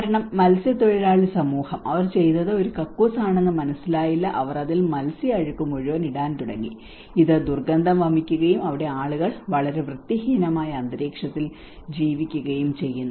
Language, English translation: Malayalam, Because the fishermen community what they did was they did not understand it was a toilet and they started putting a whole the fish dirt into that, and it was like foul smell and people are living in a very unhygienic environment